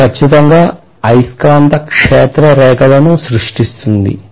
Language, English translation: Telugu, This will definitely create the magnetic field lines